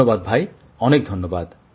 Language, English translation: Bengali, Thank you, Thank you